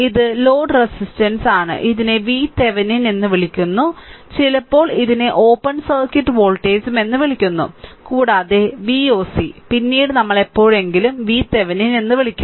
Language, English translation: Malayalam, Load resistance whatever it is right and this is called v Thevenin; sometimes it is called open circuit voltage also v oc later we will see sometime v Thevenin we call v oc right